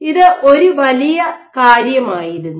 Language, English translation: Malayalam, So, this was one of the big things